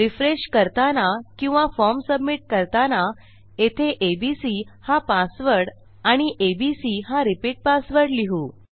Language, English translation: Marathi, When I go to refresh or rather when I go to submit my form, I will say my password is abc and my repeat password is abc